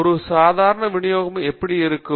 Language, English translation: Tamil, So how does a normal distribution look like